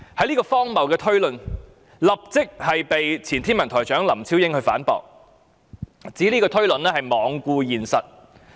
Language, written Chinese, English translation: Cantonese, 此荒謬的推論立即遭到前天文台台長林超英反駁，他指推論罔顧現實。, Such an absurd inference was immediately refuted by LAM Chiu - ying former Director of the Hong Kong Observatory who said that the inference had ignored the reality